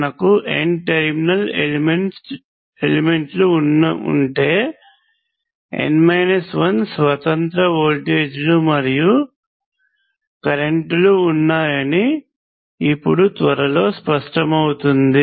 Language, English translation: Telugu, Now soon it will become clear that if we have N terminal element there are N minus 1 independent voltages and currents